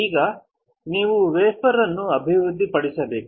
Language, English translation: Kannada, Now, you have to develop the wafer